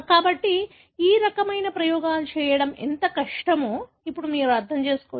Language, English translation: Telugu, So, you can understand now, how difficult it is to carry outthis kind of experiments